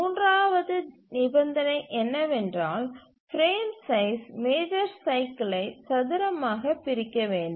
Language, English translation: Tamil, The third condition is that the frame size must squarely divide the major cycle